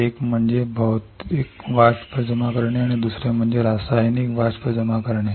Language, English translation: Marathi, One is physical vapour deposition and another one is chemical vapour deposition